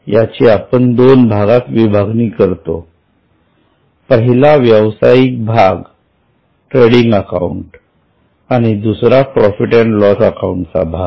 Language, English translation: Marathi, We will break it down into two parts, trading part and P&L part